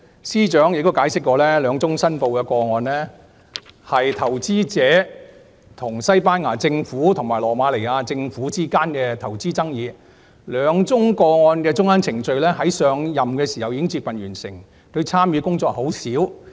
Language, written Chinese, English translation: Cantonese, 司長解釋，兩宗申報個案涉及投資者與西班牙政府及羅馬尼亞政府之間的投資爭議，兩宗個案的中間程序在她上任時已接近完成，她參與的工作很少。, As explained by the Secretary for Justice the two declared cases involved investment disputes between investors and the Spanish and Romanian Governments . The intermediate procedures of the two cases had almost been completed when she took office thus her involvement was mimimal